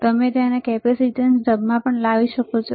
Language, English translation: Gujarati, And you can bring it to capacitance mode